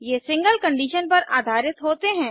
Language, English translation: Hindi, These are based on a single condition